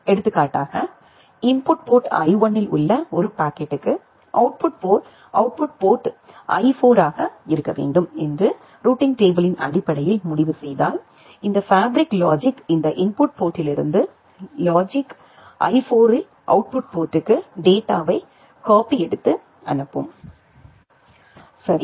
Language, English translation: Tamil, Say for example, for a packet at input port I1, if decide based on the routing table that the output port should be I4 then this fabric logic will copy the data from this input port to the output port at I4